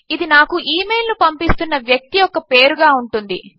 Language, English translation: Telugu, This will be the name of the person sending me the email